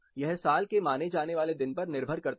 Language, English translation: Hindi, This depends on the day of the year considered